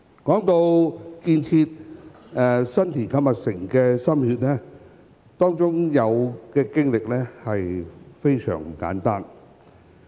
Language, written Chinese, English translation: Cantonese, 談到為建設新田購物城所花的心血，當中的經歷非常不簡單。, Speaking of the efforts devoted to the construction of the Boxes in San Tin the experience was not simple at all